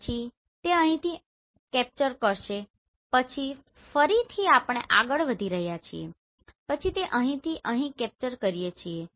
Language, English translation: Gujarati, Then it will capture from here to here right then again we are moving then it will capture from here to here right then we are capturing from here to here then we are capturing from here to here